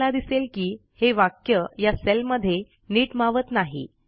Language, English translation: Marathi, You see that the text doesnt fit into the cell